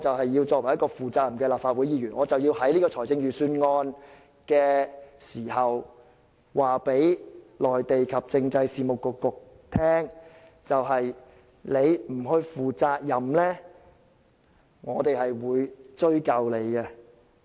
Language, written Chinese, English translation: Cantonese, 我要做一個負責任的立法會議員，因此必須藉辯論財政預算案的機會告訴政制及內地事務局，如你們不負責任，我們必會追究。, We want to be responsible Legislative Council Members so we must make use of the opportunity of the Budget debate to tell the Constitutional and Mainland Affairs Bureau that if it does not take up the responsibility we will not let it go